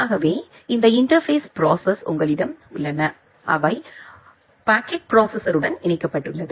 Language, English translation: Tamil, So, you have this interface processes which are connected to a packet processor